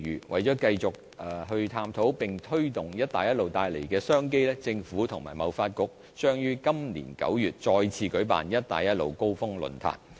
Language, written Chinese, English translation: Cantonese, 為了繼續探討並推動"一帶一路"帶來的商機，政府與貿發局將於今年9月再次舉辦"一帶一路"高峰論壇。, In order to further explore and promote the business opportunities brought by the Initiative the Government and TDC will organize the Belt and Road Summit again in September this year